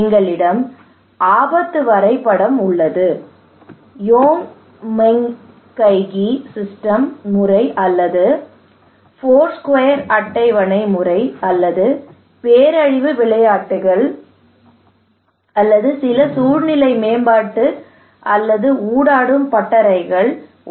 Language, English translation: Tamil, We have risk mapping, we have Yonnmenkaigi system method or Foursquare table method or maybe disaster games or maybe some scenario development or some interactive workshops